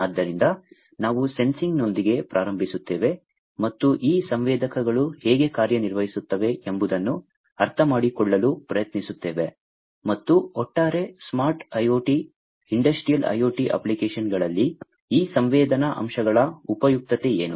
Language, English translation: Kannada, So, we will start with sensing and try to understand how these sensors work and what is the utility of these sensing elements in the overall smart IoT, Industrial IoT applications